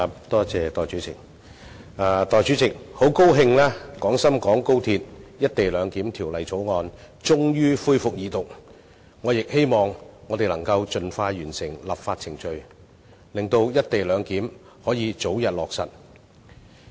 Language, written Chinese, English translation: Cantonese, 代理主席，很高興《廣深港高鐵條例草案》終於恢復二讀，我亦希望我們能夠盡快完成立法程序，讓"一地兩檢"可以早日落實。, Deputy President I am happy that the Second Reading of the Guangzhou - Shenzhen - Hong Kong Express Rail Link Co - location Bill the Bill is finally resumed . I also hope that we can complete the legislative process as soon as possible for early implementation of the co - location arrangement